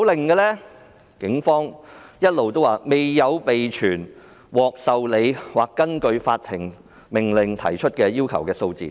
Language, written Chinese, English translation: Cantonese, 警方說沒有備存獲受理或根據法庭命令提出要求的數字。, The Police said they had not kept records of the number of requests accepted or made according to court warrants